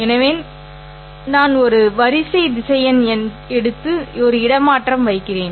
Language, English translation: Tamil, So, I take a row vector and then put a transpose